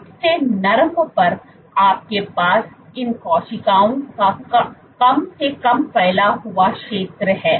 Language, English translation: Hindi, On the softest you have the least spreading area of these cells